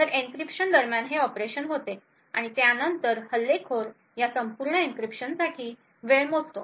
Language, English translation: Marathi, So, during the encryption these operations take place and then the attacker measures the time for this entire encryption